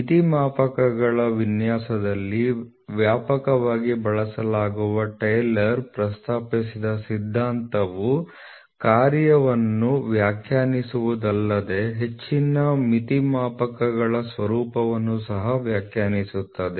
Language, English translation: Kannada, The theory proposed by Taylor which is extensively used in the designing of limit gauges, not only defines the function, but also defines the form of most limit gauges